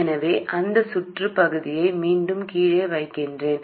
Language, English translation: Tamil, Let me put down that part of the circuit again